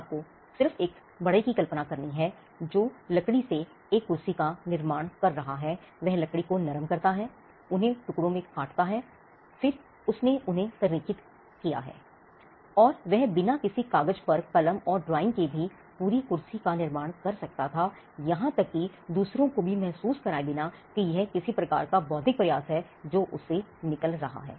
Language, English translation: Hindi, Now if you get just imagine a carpenter who is creating a chair out of the wood, he soft the wood, cuts them into pieces, then he align them, and he could construct an entire chair without even having any drawing, with him without even putting pen on paper, or even without even making others feel that there is some kind of an intellectual effort that is coming out of him